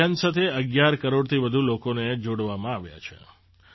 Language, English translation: Gujarati, More than 11 crore people have been connected with this campaign